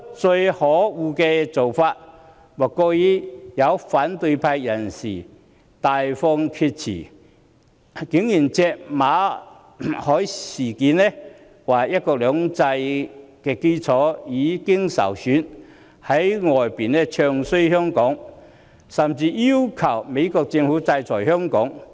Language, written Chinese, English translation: Cantonese, 最可惡的做法莫過於有反對派人士大放厥辭，借馬凱事件指出，"一國兩制"的基礎已經受損，在外地"唱衰"香港，甚至要求美國政府制裁香港。, It is most detestable that some Members of the opposition camp have talked a lot of nonsense saying that the MALLET incident has damaged the foundation of one country two systems . They discredited Hong Kong in foreign places and they even asked the United States Government to sanction Hong Kong